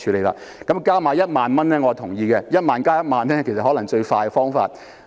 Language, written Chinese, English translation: Cantonese, 我贊同多派1萬元，在1萬元之上再加1萬元，其實可能是最快的方法。, I agree that another 10,000 should be handed out . Offering an extra sum of 10,000 in addition to the payout of 10,000 may actually be the quickest fix